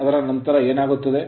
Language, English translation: Kannada, After that what will happen